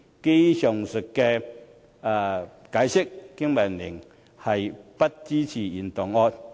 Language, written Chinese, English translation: Cantonese, 基於上述解釋，經民聯不支持原議案。, Based on what I have explained above BPA does not support the original motion